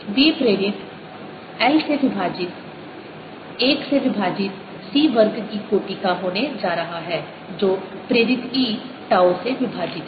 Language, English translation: Hindi, b induced divided by l is going to be of the order of one over c square that e induced divided by tau